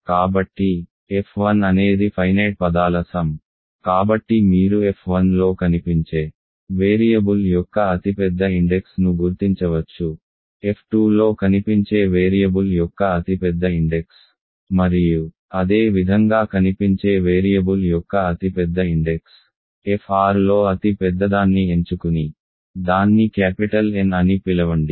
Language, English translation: Telugu, So, f 1 is a finite sum of terms, so you can figure out the largest index of the variable that appears in f 1, the largest index of the variable that appears in f 2 and similarly the largest index of the variable that appears in fr and pick the largest one and call that capital N